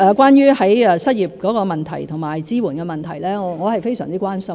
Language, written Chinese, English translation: Cantonese, 關於失業的問題及支援的問題，我非常關心。, As regards unemployment and support measures these are matters of grave concern to me